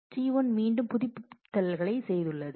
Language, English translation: Tamil, T 1 has again done the updates